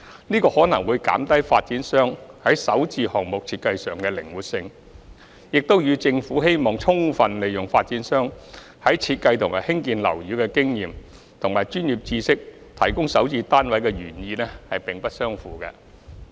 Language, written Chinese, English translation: Cantonese, 這可能會減低發展商在首置項目設計上的靈活性，亦與政府希望充分利用發展商在設計和興建樓宇的經驗及專業知識提供首置單位的原意並不相符。, This may reduce the flexibility of developers in the design of SH projects and is not in line with the original intent of the Government to fully utilize the experience and expertise of developers in designing and constructing buildings to provide SH units